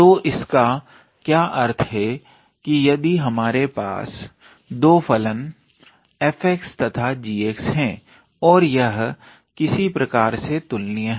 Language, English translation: Hindi, So, what does it mean is if we have 2 functions f x and g x and this follow some kind of comparison